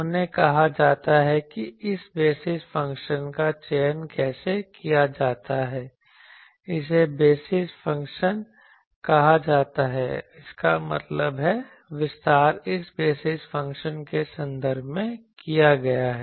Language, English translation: Hindi, They are called how to choose this basis function these are called basis function; that means, the expansion is made in terms of this basis function